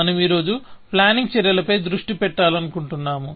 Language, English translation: Telugu, So, we just want to focus on the planning actions today